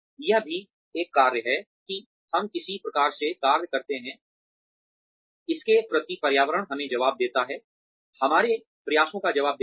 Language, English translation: Hindi, It is also a function of, how the environment that we function in, responds to us, responds to our efforts, towards it